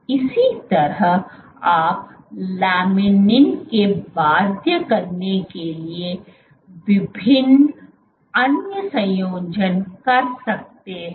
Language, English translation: Hindi, Similarly you can have various other combinations for binding to laminin